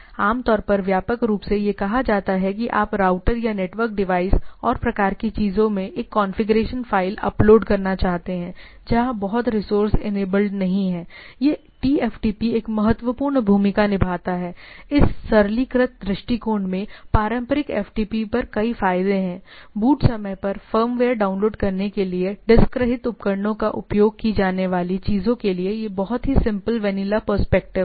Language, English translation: Hindi, So, typically widely used in say you want to upload a configuration file in a router or network device and type of things, where much resource are not enabled, this TFTP plays a important role, this simplistic approach has many benefits over traditional FTP as because it is a very simple vanilla approach to the things used by diskless devices to download firmware at boot time, right